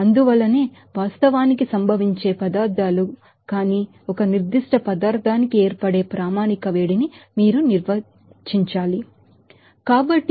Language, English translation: Telugu, So, that is why you have to define that the standard heat of formation for a particular substance which are not actually necessarily occurring substances